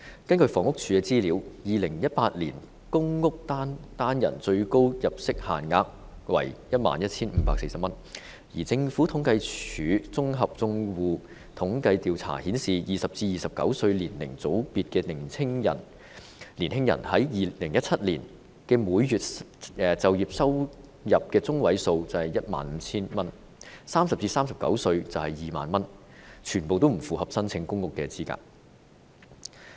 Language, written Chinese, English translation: Cantonese, 根據房屋署的資料 ，2018 年公屋單人最高入息限額為 11,540 元，而香港政府統計處綜合住戶統計調查顯示 ，20 歲至29歲年齡組別的年青人在2017年的每月就業收入中位數為 15,000 元 ；30 歲至39歲是2萬元，全部不符合申請公屋的資格。, According to the information of the Housing Department the maximum income limit for one - person PRH units in 2018 is 11,540 and according to the General Household Survey of the Census and Statistics Department in 2017 the median monthly employment earnings was 15,000 for young people in the age group of 20 to 29 and 20,000 for those aged 30 to 39 meaning that they were all ineligible for PRH units